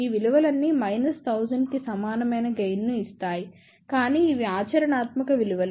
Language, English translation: Telugu, All of these values will give us gain equal to minus 1000, but are these practical values